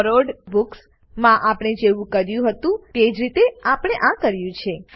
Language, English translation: Gujarati, This is done in the same way as we did for Borrowed Books